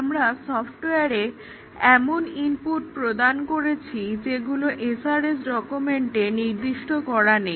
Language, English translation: Bengali, In stress testing, we give input to the software that is beyond what is specified for the SRS document